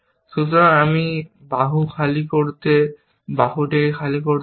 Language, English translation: Bengali, So, I have to achieve arm empty